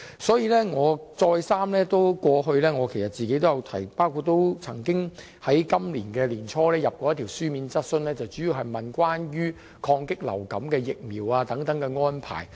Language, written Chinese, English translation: Cantonese, 所以，我過去再三提出有關要求，而今年年初亦提出過一項書面質詢，主要是詢問關於對抗流感及提供疫苗等的安排。, Therefore I have been repeatedly raising this request in the past . Early this year I also raised a written question mainly on the arrangements against influenza outbreaks and for the supply of vaccines